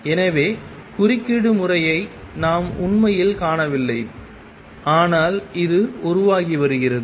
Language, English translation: Tamil, So, we do not really see the interference pattern, but it is being formed